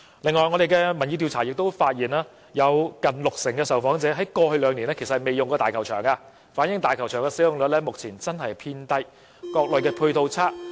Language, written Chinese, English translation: Cantonese, 此外，我們的調查亦發現，有近六成受訪者在過去兩年沒有使用過大球場，反映大球場現時使用率偏低、各類配套未如理想。, Our survey also found that nearly 60 % of the respondents have not visited Hong Kong Stadium over the past two years indicating a low utilization rate due to unsatisfactory complementary measures